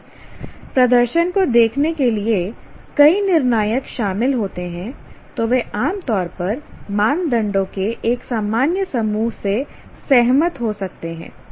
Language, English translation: Hindi, If multiple judges are involved in judging the performance, they may commonly agree with a common set of criteria